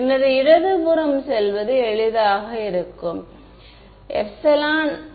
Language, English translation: Tamil, So, the left hand side is going to be easy